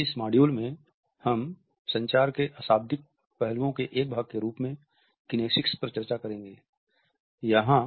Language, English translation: Hindi, In this module, we would discuss Kinesics is a part of nonverbal aspects of communication